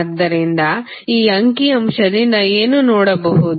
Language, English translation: Kannada, So, what we can see from this figure